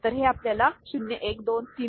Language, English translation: Marathi, So, that gives you 0 1 2 3